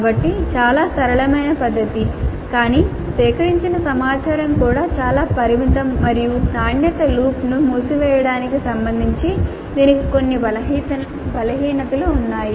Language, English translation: Telugu, So fairly simple method but the information gathered is also quite limited and it has certain weaknesses with respect to closing the quality loop